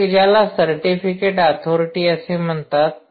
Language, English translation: Marathi, one is called certificate authority